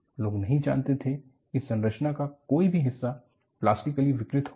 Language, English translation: Hindi, People did not want to have the structure, any part of the structure, to become plastically deformed